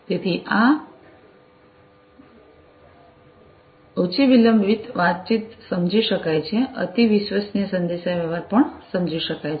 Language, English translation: Gujarati, So, this low latency communication is understood, ultra reliable communication is also understood